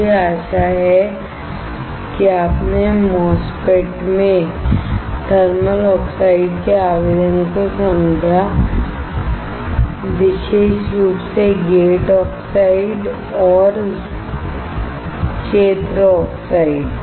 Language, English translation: Hindi, I hope that you understood the application of the thermal oxide in a MOSFET; particularly gate oxides and field oxides